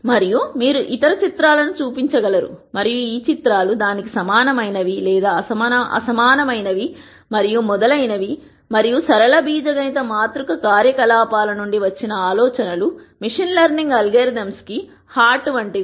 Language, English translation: Telugu, And you could show other pictures and then say are these pictures similar to this, are these dissimilar, how similar or dissimilar and so on and the ideas from linear algebra matrix operations are at the heart of these machine learning algorithms